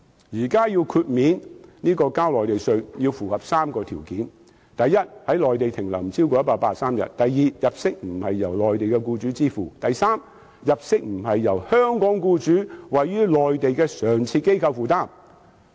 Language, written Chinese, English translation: Cantonese, 現時豁免繳交內地稅項要符合3個條件：第一 ，1 年內在內地停留不超過183天；第二，入息不是由內地僱主支付；第三，入息不是由香港僱主位於內地的常設機構負擔。, The remaining one point is miracle . At present three criteria must be met in order to receive Mainland tax exemption First the length of stay on the Mainland does not exceed 183 days within one year; second the income is not paid by a Mainland employer; and third the income is not borne by a permanent establishment set up by a Hong Kong employer on the Mainland